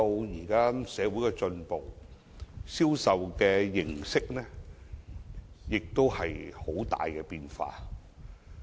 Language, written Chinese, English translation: Cantonese, 現在社會進步，銷售形式出現很大變化。, With social advancement these days major changes have occurred to the mode of sale